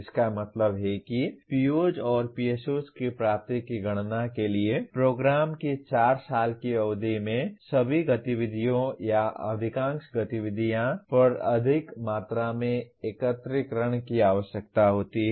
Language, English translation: Hindi, That means computing attainment of POs and PSOs requires considerable amount of aggregation over all the activities or majority of the activities over the 4 year duration of the program